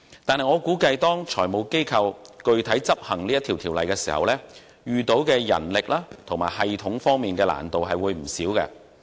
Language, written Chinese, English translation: Cantonese, 但是，我估計當財務機構實際遵守有關法例要求時，將會在人力和系統方面遇到不少困難。, That said I surmise that FIs will encounter quite a number of manpower and systemic difficulties in actually observing the relevant statutory requirements